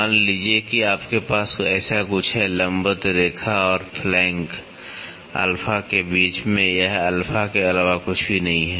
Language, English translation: Hindi, Suppose you have something like this, right between the perpendicular line and the flank alpha it is nothing, but alpha